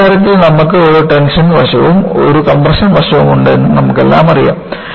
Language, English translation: Malayalam, And, you all know in the case of a bending, you have a tension side and you have a compression side